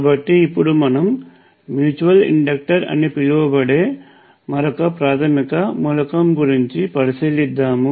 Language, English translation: Telugu, So, another basic element, which we can consider now, is what is known as a mutual inductor